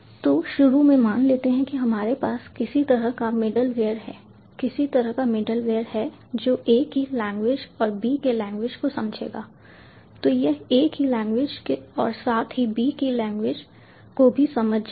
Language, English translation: Hindi, so let us assume initially that we have some kind of a middleware, some kind of a middleware which will understand the language of a and the language of b